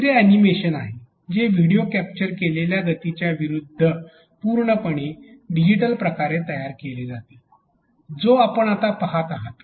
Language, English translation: Marathi, The third one is the animation which is completely digitally created motion as against the video captured motion that what you are seeing now